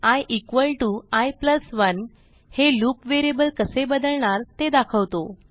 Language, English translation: Marathi, Then i= i+1 , states how the loop variable is going to change